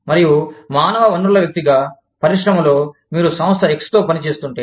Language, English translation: Telugu, And, as a human resource person, within the industry, if you are working with Firm X